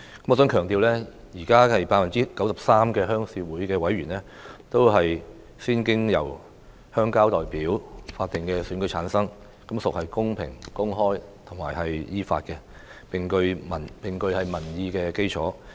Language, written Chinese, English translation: Cantonese, 我想強調，現時 93% 的鄉事會委員都是經由鄉郊代表的法定選舉產生，是公平、公開和依法的，並具有民意基礎。, I want to stress that at present 93 % of RC members are returned by statutory elections of rural representatives which are fair open and legitimate and have considerable public support